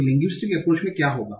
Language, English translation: Hindi, So in the linguistic approach, what will happen